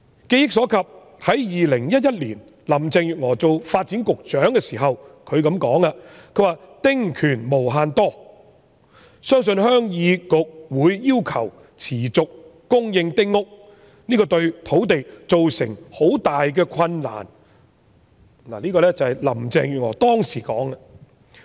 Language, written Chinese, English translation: Cantonese, 記憶所及，林鄭月娥在2011年擔任發展局局長時說"丁權無限多，相信鄉議局會要求持續供應丁屋，這對土地造成很大困難"。這是林鄭月娥當時說的。, As far as I remember in 2011 when Carrie LAM was the Secretary for Development she said that Demands arising from small house concessionary rights are endless; I believe the Heung Yee Kuk will demand for a continuous supply of small houses and that will create a big problem to our land supply